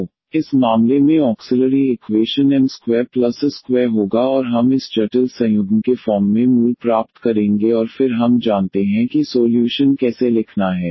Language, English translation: Hindi, So, the auxiliary equation in this case will be m square plus this a square is equal to 0 and we will get the roots as a i plus minus this complex conjugate and then we know how to write down the solutions